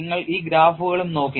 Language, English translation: Malayalam, And you also looked at these graphs